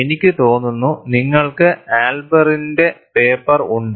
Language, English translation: Malayalam, And I think, you have the paper by Elber